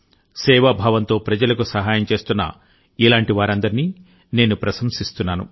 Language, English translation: Telugu, I appreciate all such people who are helping others with a spirit of service…